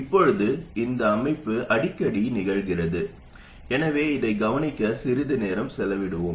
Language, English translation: Tamil, Now this structure occurs quite often, so let's spend some time studying this